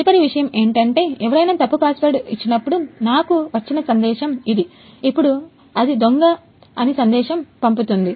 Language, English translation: Telugu, Next thing is, this is the message I got when someone gives the wrong password, then its send the Thief